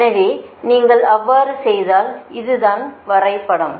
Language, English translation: Tamil, so if you do so, look at this is the diagram, this is the diagram